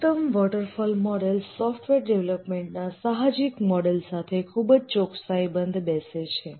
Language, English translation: Gujarati, The classical waterfall model fits very accurately to the intuitive model of software development